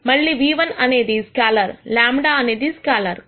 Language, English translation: Telugu, Again nu1 is a scalar lambda is a scalar